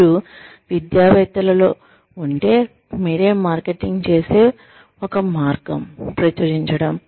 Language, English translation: Telugu, If you are in academics, one way of marketing yourself is, by publishing